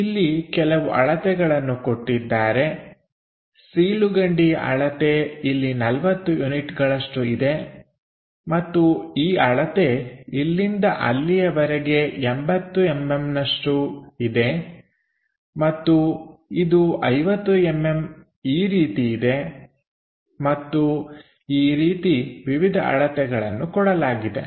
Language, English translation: Kannada, There are certain dimensions like, this slot supposed to be 40 units here and this length is 80 mm from here to there and this is something like 50 mm and so on different dimensions are given